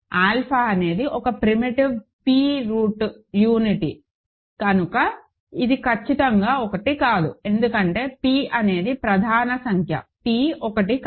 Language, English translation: Telugu, Alpha being a primitive p th unity certainly is not 1, because p is a prime number p is not 1